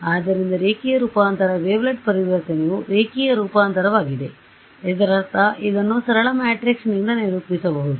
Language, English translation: Kannada, So, linear transformation, a wavelet transformation is a linear transformation; means it can be characterized by a matrix simple